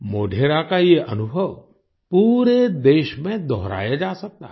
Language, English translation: Hindi, Modhera's experience can be replicated across the country